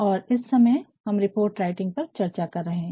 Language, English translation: Hindi, And, presently we are discussing report writing